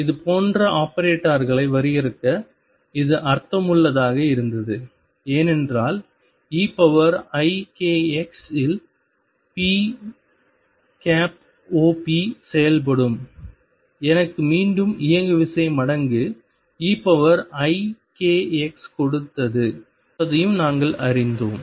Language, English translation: Tamil, This made sense to define these operators like this because we also learnt that p operator acting on e raise to i k x gave me momentum times e raise to i k x again